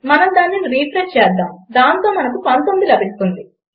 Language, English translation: Telugu, Lets refresh that and we can get 19